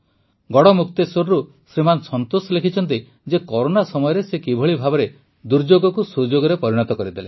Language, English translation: Odia, Shriman Santosh Ji from Garhmukteshwar, has written how during the Corona outbreak he turned adversity into opportunity